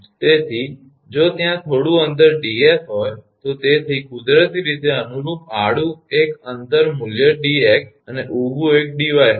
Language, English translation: Gujarati, So, if there is take if a small distance ds so naturally corresponding horizontal one distance value is dx and vertical one will be dy